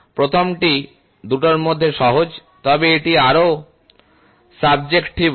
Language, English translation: Bengali, The former is simpler of both, but it is more subjective